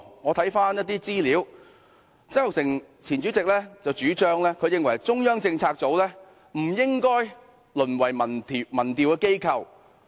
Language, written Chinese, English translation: Cantonese, 我翻看一些資料，讀到前主席曾鈺成的意見，他認為中策組不應該淪為民調機構。, I have read the former Presidents views while checking some information . In his opinion CPU should not degenerate into a polling organization